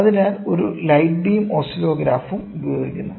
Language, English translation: Malayalam, So, a light beam oscillograph is also used